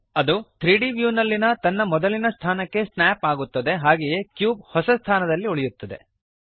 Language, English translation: Kannada, It snaps back to its original position in the 3D view while the cube remains in the new position